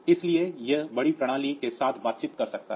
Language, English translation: Hindi, So, it may be interacting with the bigger system